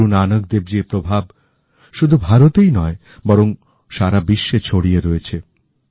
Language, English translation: Bengali, The luminescence of Guru Nanak Dev ji's influence can be felt not only in India but around the world